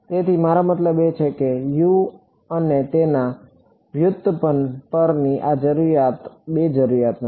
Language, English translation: Gujarati, So, I mean there are not two requirements this is requirement on U and its derivative